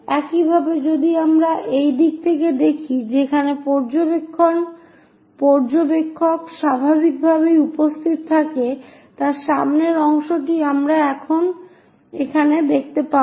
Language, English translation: Bengali, Similarly, if we are looking from this side where observer is present naturally, the front one here we will see it here